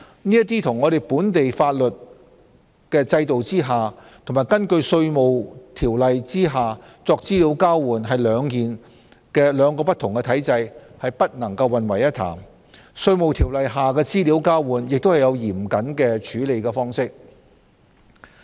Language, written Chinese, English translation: Cantonese, 這與在本地法律制度下及根據《稅務條例》所作的資料交換，屬兩個不同體制，不能混為一談，而《稅務條例》下的資料交換亦有嚴謹的處理方式。, This is a different regime from the exchange of information in accordance with the Inland Revenue Ordinance under the local legal system and therefore should not be mixed up . Also there is stringent requirement for the exchange of information under the Inland Revenue Ordinance